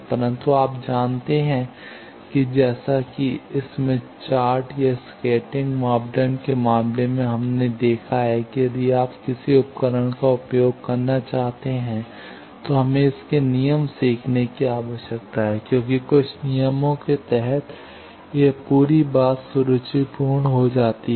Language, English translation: Hindi, But, you know that, as in case of Smith chart, or scattering parameters, we have seen that, if you want to use a tool, we need to learn its rules, because, under certain rules, this whole thing becomes elegant